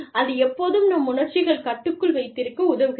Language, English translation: Tamil, That, it always helps to keep, our emotions, in check